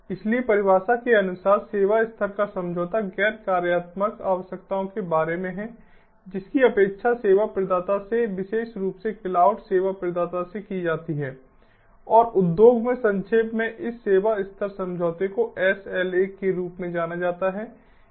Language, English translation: Hindi, so service level agreement, as per definition, is about non functional requirements that are expected from the service provider, more specifically the cloud service provider, and this service level agreement, in short, in the industry it is known as sla